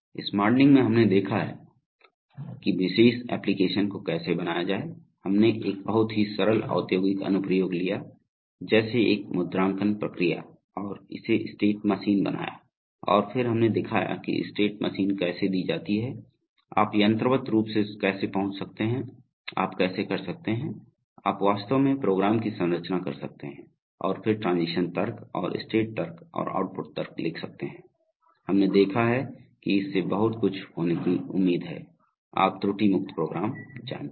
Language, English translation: Hindi, So this modeling we have seen that, how to model a particular application, we took a very simple industrial application like a stamping process and built it state machine and then we have shown that how given the state machine, how very mechanically you can arrive at, how you can, you can actually structure your program and then write the transition logic and the state logic and the output logic